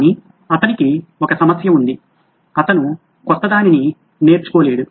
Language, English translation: Telugu, But he had one problem, he just couldn’t learn anything new